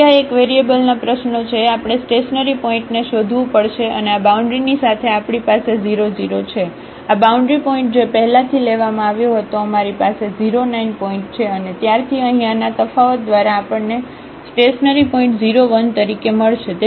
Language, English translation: Gujarati, So, again this is a problem of one variable we have to look for the stationary point and along this boundary here we have the 0 0, this boundary point which was already taken earlier we have 0 9 point and from here by differentiating this we will get the stationary point as 0 1